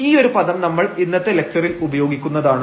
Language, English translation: Malayalam, So, that terminology we will use in today’s lecture